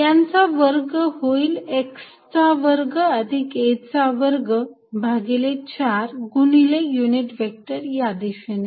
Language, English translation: Marathi, Square of that is going to be x square plus a square by 4, times unit vector in this direction